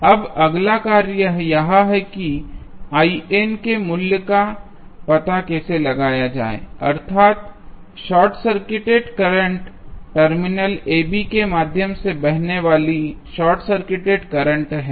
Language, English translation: Hindi, Now, the next task is how to find out the value of I n that means the shorts of current across the shorts of content flowing through the short circuited terminal AB